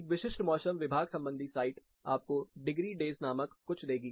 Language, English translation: Hindi, A typical metrological site will give you something called degree days